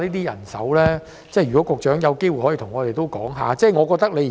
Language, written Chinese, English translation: Cantonese, 如果局長有機會，可以向我們講解一下。, The Secretary can offer us an explanation if he has got the chance